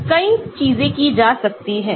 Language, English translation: Hindi, So, many things can be done